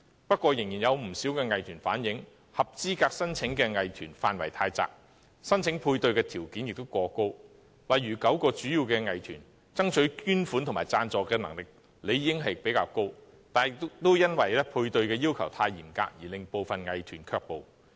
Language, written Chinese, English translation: Cantonese, 不過，仍有不少藝團反映，合資格申請的藝團範圍太窄，申請配對的條件亦過高，例如9個主要藝團爭取捐款和贊助的能力理應較高，但也因為配對的要求太嚴格而令部分藝團卻步。, Nevertheless quite a number of arts groups have relayed that the coverage of eligible arts groups is too narrow and the application requirements for the matching grants are too harsh . For example the nine major performing arts groups should be more capable of seeking donations and sponsorship but the requirements for the matching grants are so strict that some of these arts groups have been discouraged from making applications